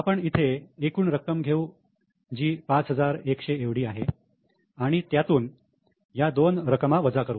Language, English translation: Marathi, So, we will take total here which is 5100 and deduct these two amounts, we get a balance of 4